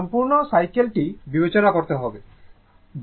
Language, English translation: Bengali, You have to consider the complete cycle